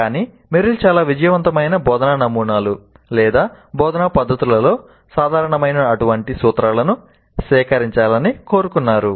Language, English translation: Telugu, But Merrill wanted to extract such principles which are common across most of the successful instructional models or instructional methods